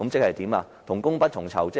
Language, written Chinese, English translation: Cantonese, 即同工不同酬。, It means different pay for the same work